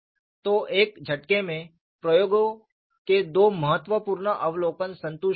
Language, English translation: Hindi, So, in 1 stroke, two important observations of experiments were satisfied